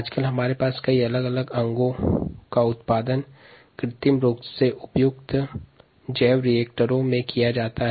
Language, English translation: Hindi, many different organs produce artificially in appropriate by reactors